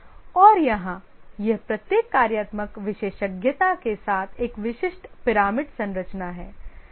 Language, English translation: Hindi, And here it's a typical pyramidal structure with each functional specialization